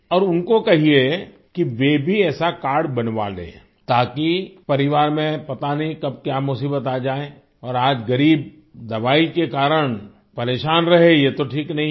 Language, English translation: Hindi, And do tell them that they should also get such a card made because the family does not know when a problem may come and it is not right that the poor remain bothered on account of medicines today